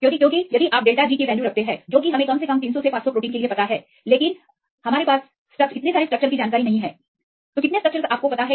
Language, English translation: Hindi, Yes because if you see the delta G values; they are known only for 300 to 500 proteins, but we have the structure how many structures are known at the moment